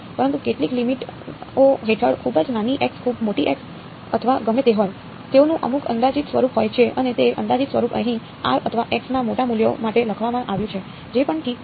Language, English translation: Gujarati, But under some limits very small x very large x or whatever, they have some approximate form and that approximate form has been written over here for large values of r or x whatever ok